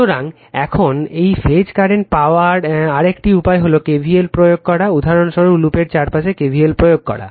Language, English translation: Bengali, So, now another way to get this phase current is to apply KVL, for example, applying KVL around loop, so, aABbna right